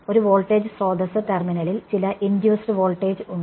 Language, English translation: Malayalam, A voltage source there is some voltage induced in the terminal